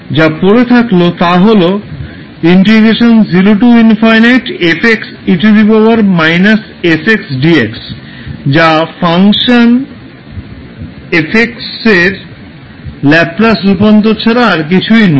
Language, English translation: Bengali, So if you compare with the standard definition you can simply say that this is the Laplace transform of fx